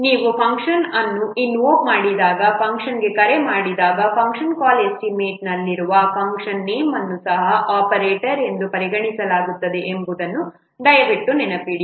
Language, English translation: Kannada, Please remember whenever you are calling a function, invoking a function, the function name that in a function call statement is also considered as an operator